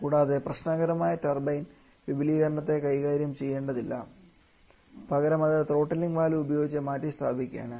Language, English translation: Malayalam, And also we do not have to deal with that problematic turbine expansion rather we are replacing that withany with at throttling valve